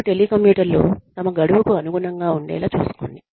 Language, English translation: Telugu, Then, make sure, the telecommuters stick to their deadlines